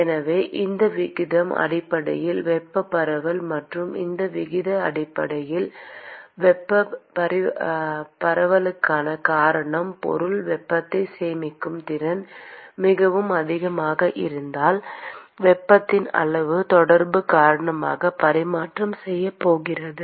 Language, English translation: Tamil, So, this ratio is basically the thermal diffusion and the reason why this ratio is thermal diffusion is supposing if the material has a very capability to store heat, then the amount of heat, that it can transfer because of the interaction is going to be very small